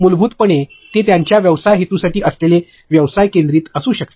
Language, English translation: Marathi, Basically, it could be business centric that is for their business purpose